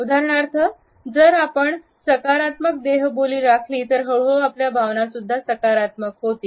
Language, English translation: Marathi, For example, if we maintain a positive body language, then gradually our emotions would have a positive shift